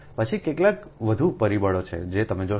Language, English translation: Gujarati, there are some more factors later you will see